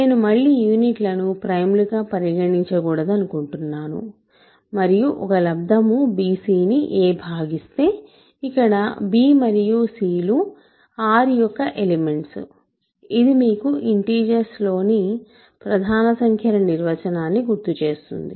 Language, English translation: Telugu, So, I again do not want to consider units as primes and if a divides a product bc where of course, b and c are elements of R this should recall for you the definition of prime numbers in integers